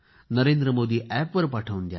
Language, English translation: Marathi, And on NarendraModiApp